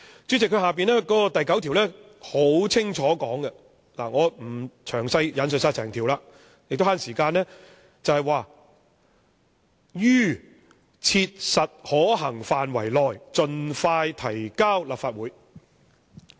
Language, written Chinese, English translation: Cantonese, "主席，接着提及的第9條很清楚地說明——為了節省時間，我不詳細引述整項條例了——"於切實可行範圍內盡快提交立法會"。, President section 9 mentioned therein states clearly that the Bill should be introduced as soon as practicable―in order to save time I will not quote the provision in full and in detail